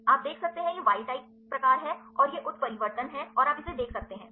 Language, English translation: Hindi, So, you can see the, this is the wild type and this is the mutation and, you can see this one